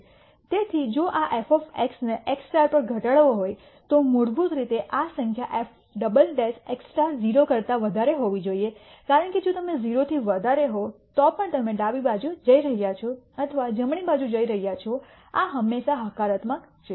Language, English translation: Gujarati, So, if this f of x has to be minimized at x star then basically this number f double prime at x star has to be greater than 0 because if this is greater than 0 irrespective of whether you are going to the left or the right this is always positive